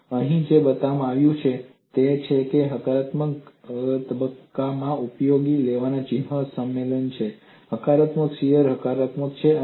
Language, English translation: Gujarati, And what is shown here is what is the sign convention used on a positive phase, positive shear is positive